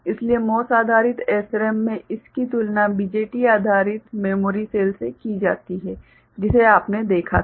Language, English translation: Hindi, So, in MOS based SRAM it is compared to BJT based memory cell that you had seen ok